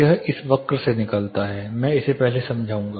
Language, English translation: Hindi, This derives from this curves I will explain this first